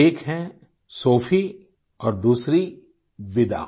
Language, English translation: Hindi, One is Sophie and the other Vida